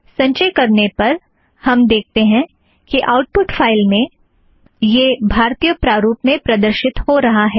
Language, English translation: Hindi, On compiling it, we see this Indian format appearing in the output file